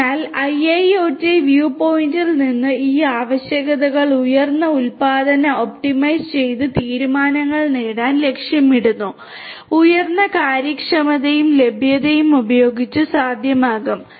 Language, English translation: Malayalam, So, so from a IIoT view point these requirements will aim to achieve greater production optimized decisions will be possible with higher efficiency and availability